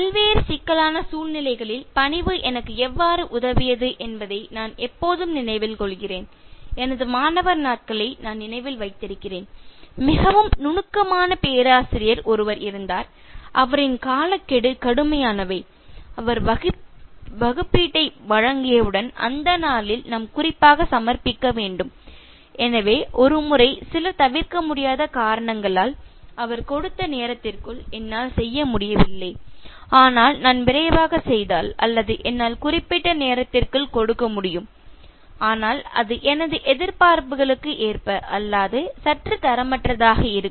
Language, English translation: Tamil, I always remember how politeness has helped me in various critical situations, I remember during my student days and a very meticulous professor and deadlines are rigid and once he gives the assignment, we have to submit on that day in particular, so due to some inevitable circumstance I could not finalize the time that he has given, but if I rush through I will be able to give, but it will be a slightly substandard product, as to my expectations